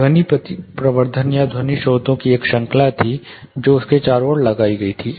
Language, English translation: Hindi, There was a series of sound amplification, or sound sources which were put around him